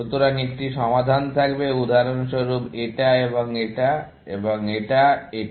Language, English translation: Bengali, So, a solution will have, for example, this and this and this and this